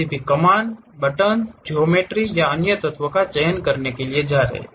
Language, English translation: Hindi, To select any commands, buttons, geometry or other elements